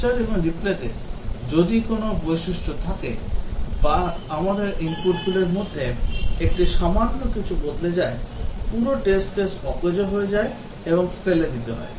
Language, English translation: Bengali, In a capture and replay if a feature or let us say one of the input just change little bit, the entire test case becomes useless and has to be thrown out